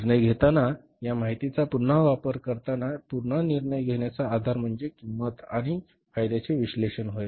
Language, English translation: Marathi, Again, while making the use of this information for decision making, again the basis of decision making will be the cost and benefit analysis